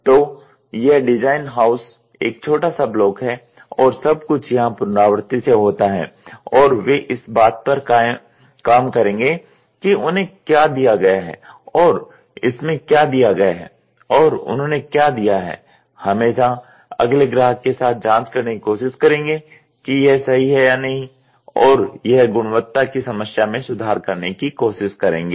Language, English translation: Hindi, Because every house, so, what we are the design house is at is a small block and everything tries to iteratively happened here and they will work on what they have been given and what this is given in to them and what they have given out they will always try to check with the next customer whether it is or not and do the quality problem improvement